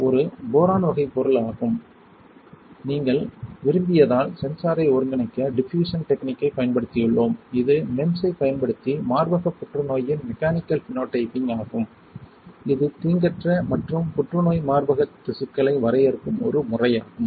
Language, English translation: Tamil, It is a p type material which is Boron, we have used diffusion technique to integrate sensor if you want you can also read our paper which is mechanical phenotyping of breast cancer using MEMS, a method to demarcate benign and cancerous breast tissues this is in general lab on a chip it was published in 2014 ok